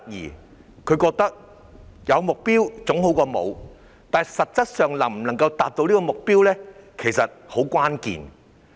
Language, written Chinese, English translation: Cantonese, 市民覺得有目標總比沒有好，但關鍵在於能否達成目標。, People believe that having a target is better than none but the key is whether the target can be achieved